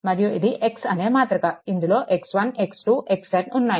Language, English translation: Telugu, And this is a matrix, this is your x 1 x 2 x n, right